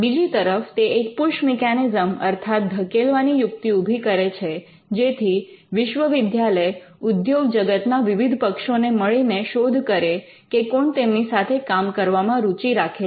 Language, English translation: Gujarati, It also acts by way of the push mechanism, where the university approaches various industry players to see that whether they will be interested in the work that is happening